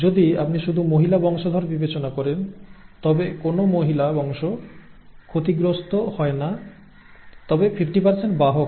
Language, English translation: Bengali, If you consider the female offspring alone, no female offspring is affected but 50% are carriers which are these, okay